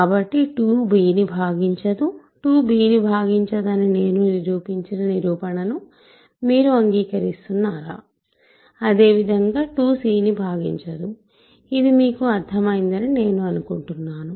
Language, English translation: Telugu, So, 2 does not divide b so, do you agree that I have proved that 2 does not divide b similarly, 2 does not divide right so, I hope this is clear to you